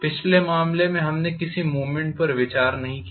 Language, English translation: Hindi, In the last case we did not consider any movement